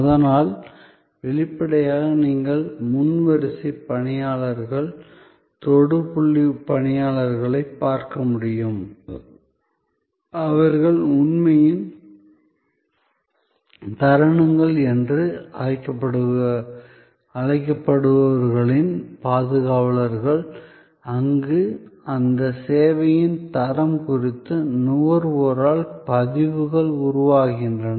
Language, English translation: Tamil, So; obviously, as you can see the front line personnel, the touch point personnel, they are the custodians of the so called moments of truth, where impressions are formed by the consumer about the quality of that service